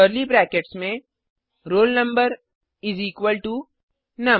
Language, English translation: Hindi, within curly brackets roll number is equalto num